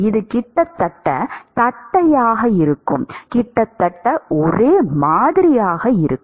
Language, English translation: Tamil, It will be almost flat, it will be almost uniform